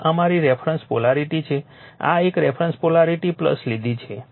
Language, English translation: Gujarati, This is our reference polarity you have taken this is a reference polarity you have taken plus